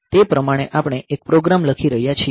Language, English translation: Gujarati, So, like that we are writing program